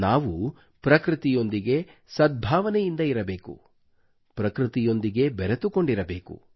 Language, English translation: Kannada, We have to live in harmony and in synchronicity with nature, we have to stay in touch with nature